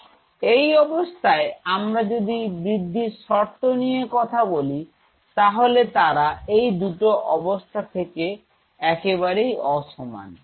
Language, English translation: Bengali, So, the conditions out here if you talk about the growth factors here they are totally different these 2 conditions are very unequal